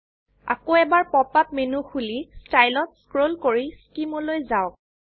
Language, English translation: Assamese, Open the pop up menu again and scroll down to Style, then Scheme